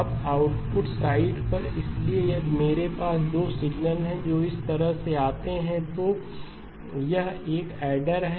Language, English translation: Hindi, Now on the output side, so if I have 2 signals which come like this, it is an adder